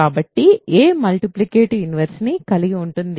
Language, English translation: Telugu, So, a has a multiplicative inverse